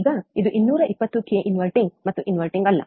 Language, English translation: Kannada, Now, this was about ~220 k, 220 k inverting and non inverting